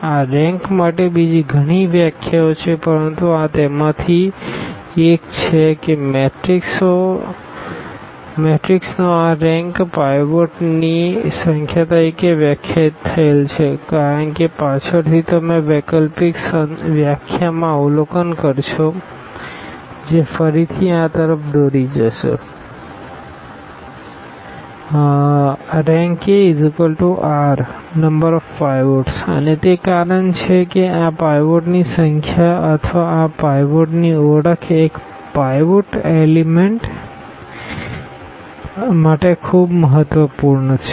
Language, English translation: Gujarati, There are many other definitions for this rank, but this is one of them that this rank of a matrix is defined as the number of the pivots because later on you will observe in an alternate definition that will again lead to this that rank A is equal to precisely this number of pinots and that is the reason this number of pivots or the identification of these pivots a pivot elements are very important